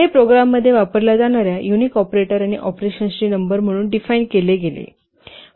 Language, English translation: Marathi, It is defined as the number of unique operators and operands used in the program